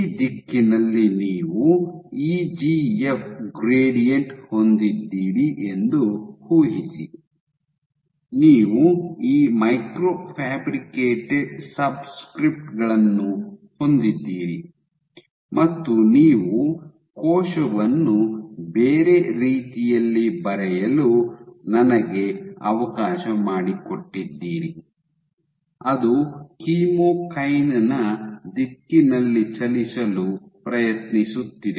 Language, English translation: Kannada, So, imagine you have an EGF gradient in this direction, you have these micro fabricated subscripts and you have a cell let me draw the cell in different way, which is trying to move in the direction of the chemokine